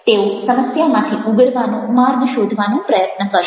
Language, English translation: Gujarati, they will try to find out the ways to overcome the problems